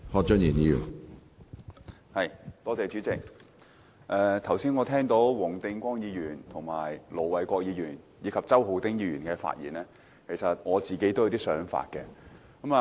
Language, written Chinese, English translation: Cantonese, 主席，聽畢黃定光議員、盧偉國議員和周浩鼎議員剛才的發言，我自己也有些想法。, Chairman having listened to the earlier speeches of Mr WONG Ting - kwong Ir Dr LO Wai - kwok and Mr Holden CHOW I also get something in mind